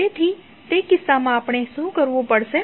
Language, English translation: Gujarati, So, in that case what we have to do